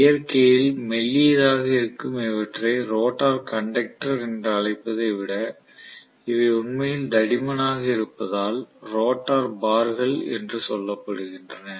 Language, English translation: Tamil, Rather than calling them as rotor conductor which is thin in nature these are rotor bars which are really really thick